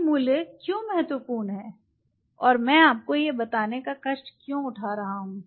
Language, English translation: Hindi, Why these values an important and why am I taking the pain to tell you this once again